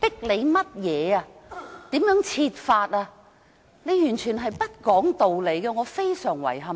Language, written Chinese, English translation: Cantonese, 你蠻不講理，我對此感到非常遺憾。, Your approach is totally unreasonable which I find deeply regrettable